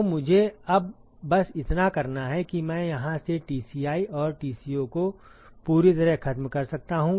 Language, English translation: Hindi, So, all I have to do is now, to it completely I can eliminate Tci and Tco from here